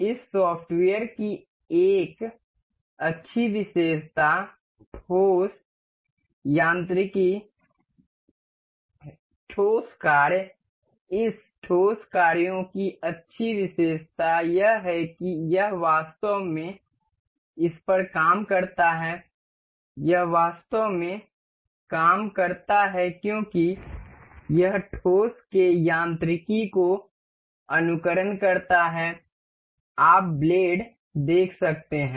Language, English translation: Hindi, A good feature of this software solid mechanics solid works; good feature of this solid works is this actually works on it actually works as it simulates the mechanics of solids you can see the blades